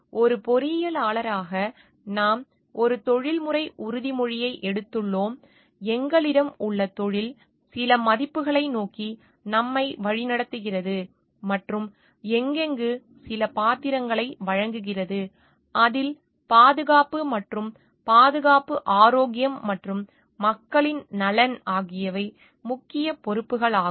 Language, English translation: Tamil, As an engineer, we do have a we have taken a professional oath, we have of the profession itself guides us towards certain values and gives us certain roles and in that the safety and security health and a welfare of the people at large are major responsibilities to look after these factors and major responsibilities of engineers